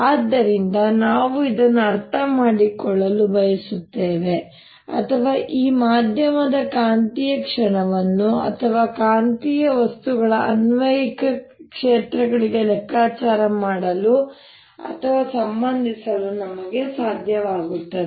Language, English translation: Kannada, so we want to understand this or be able to calculate or relate the magnetic moment of these media right magnetic material to apply it, fields and so on